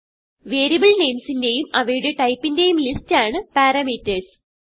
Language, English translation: Malayalam, parameters is the list of variable names and their types